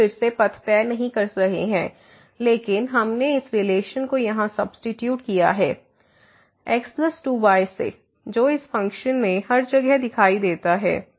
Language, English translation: Hindi, So, we are not fixing again the path, but we have substituted this relation here plus 2 which appear everywhere in this function